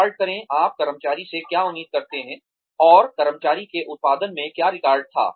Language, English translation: Hindi, Record, what you expect from the employee, and record what the employee